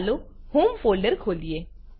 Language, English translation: Gujarati, Let us open the home folder